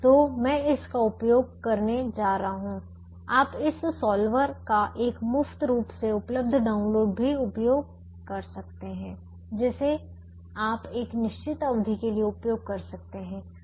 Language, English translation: Hindi, you could also use a, a freely available download of this solver which you can use for a certain period